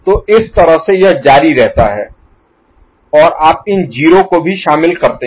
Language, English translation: Hindi, So, that way it continues and you include these 0s also, ok